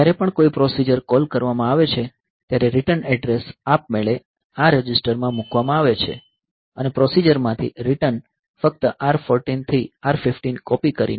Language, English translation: Gujarati, So, whenever a procedure call is made the return address is automatically placed into this register and a return from procedure is simply by copying R 14 to R 15